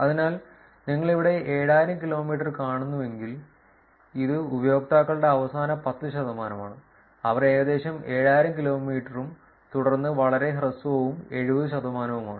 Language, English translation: Malayalam, So, if you seen here 7000 kilometers, so it is about the last 10 percent of the users, who are about 7000 kilometers and then very short is about 70 percent